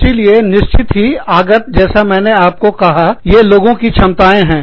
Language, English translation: Hindi, So, inputs, of course, like I told you, they are the competencies of individuals